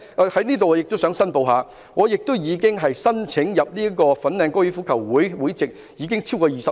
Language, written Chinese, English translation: Cantonese, 我在這裏亦想申報，我申請香港哥爾夫球會會籍已經超過20年。, I would like to declare here that I have applied for the membership of the Hong Kong Golf Club for over 20 years . I notice that society is changing